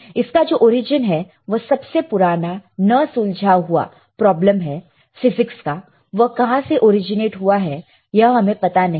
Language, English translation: Hindi, Its origin is one of the oldest unsolved problem in physics see from where it originates we do not know